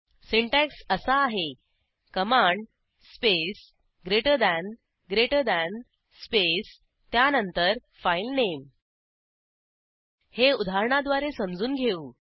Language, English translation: Marathi, The syntax is command space greater than greater than space followed by filename Let us understand this using an example